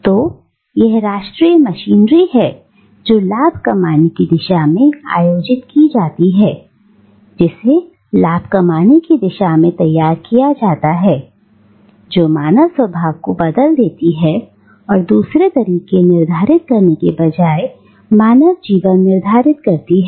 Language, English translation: Hindi, So it is national machinery which is organised towards profit making, which is geared towards profit making, which transforms human nature and which dictates human life rather than it being the other way around